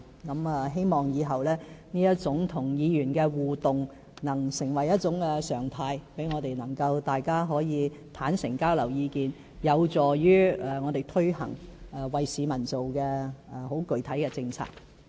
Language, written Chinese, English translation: Cantonese, 我希望以後這種與議員的互動能成為常態，讓我們可以互相坦誠地交流意見，有助於我們推行為市民而做的具體政策。, In the future I hope that this kind of interaction with Members will become a norm enabling us to sincerely exchange ideas and facilitate the launch of concrete policies that are made for the public